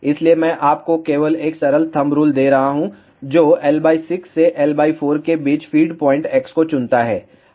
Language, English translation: Hindi, So, I am just giving you a simple rule of thumb that choose feed point x between L by 6 to L by 4